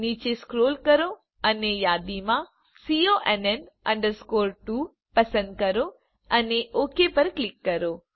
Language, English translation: Gujarati, Scroll down and choose CONN 2 from the list and click on OK